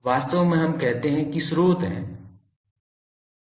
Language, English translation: Hindi, Actually there are let us say that there are sources